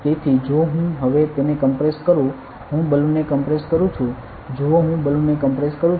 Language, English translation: Gujarati, So, if I am going to compress it now compress the balloon see I am going to compress the balloon